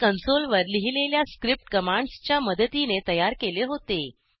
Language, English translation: Marathi, They were created with the help of script commands written on the console